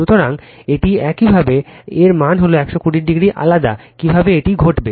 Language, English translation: Bengali, So, this is your; that means as it is 120 degree apart how this happen right